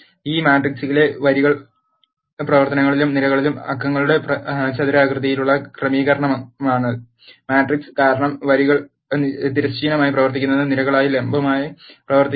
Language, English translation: Malayalam, A matrix is a rectangular arrangement of numbers in rows and columns in a matrix as we know rows are the ones which run horizontally and columns are the ones which run vertically